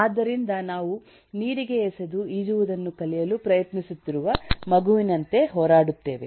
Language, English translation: Kannada, so we kind of eh eh struggle like a, like a child thrown into the water and trying to learn to swim